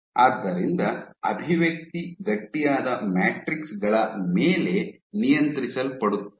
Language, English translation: Kannada, So, they expression was up regulated on stiffer matrices